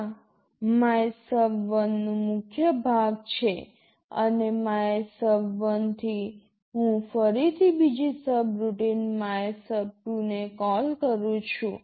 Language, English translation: Gujarati, This is the body of MYSUB1 and from MYSUB1, I am again calling another subroutine MYSUB2